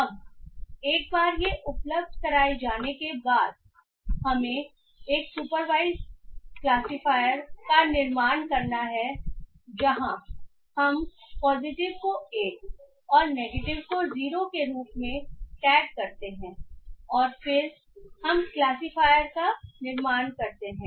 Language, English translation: Hindi, So now once these are provided what we have to do is that we have to build a supervised classifier where we tag the positives as 1 and the negatives as 0 and then we build the classifier